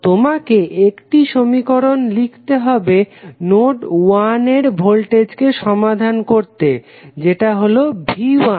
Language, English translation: Bengali, So, you need to write only one equation to solve the voltage at node 1 that is V 1